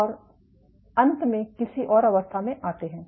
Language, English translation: Hindi, And finally, come to some other state